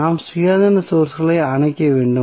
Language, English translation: Tamil, We have to simply turn off the independent sources